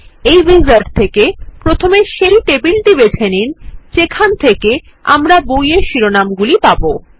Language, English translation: Bengali, In this wizard, let us first, choose the table from where we can get the book titles